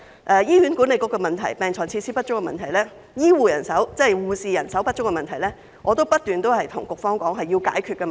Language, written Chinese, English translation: Cantonese, 就醫管局的問題、病床設施不足的問題、護士人手不足的問題，我已不斷告訴局方，這些都是需要解決的問題。, As for the problems in HA the lack of beds and facilities and the shortage of nurses I have been telling the Bureau that these problems should be addressed